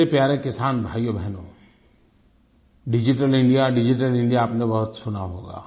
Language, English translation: Hindi, My dear farmer brothers and sisters, you must have repeatedly heard the term Digital India